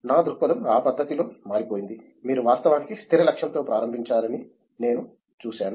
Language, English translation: Telugu, My perspective has changed in that manner that I have seen that you don’t actually start with the fixed goal